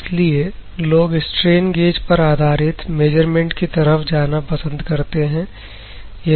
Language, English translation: Hindi, That is why people go for the strain gauged based measurements